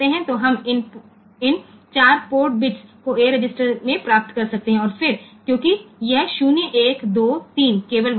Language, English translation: Hindi, So, we are we can we can just get these 4 port bits into the a register and, then since this 0 1 2 3 is only there